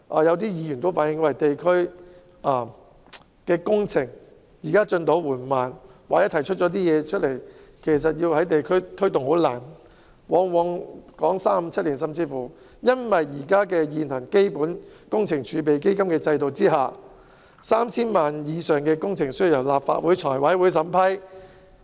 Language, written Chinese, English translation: Cantonese, 有些議員有時候反映地區工程的進展緩慢，或是所提出的建議難以在地區推動，動輒要討論數年，原因是在基本工程儲備基金制度下，涉及 3,000 萬元以上的工程都必須由立法會財務委員會審批。, As some Members have reflected from time to time the progress of some district projects has been slow or the proposals raised will very often be discussed for years and can hardly be implemented in the districts . The reason is that under the Capital Works Reserve Fund system projects involving more than 30 million must be approved by the Finance Committee of the Legislative Council